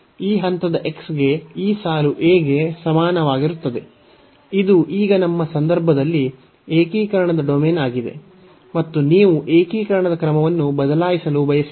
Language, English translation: Kannada, So, this line to this point x is equal to a; so, this is the domain of integration in our case now, and if you want to change the order of integration